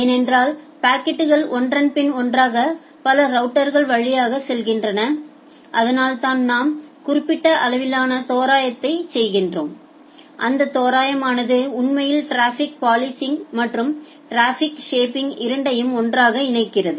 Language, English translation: Tamil, Because the packets are going via multiple routers one after another and that is why we do certain level of approximation and that approximation actually combines both traffic policing and traffic shaping all together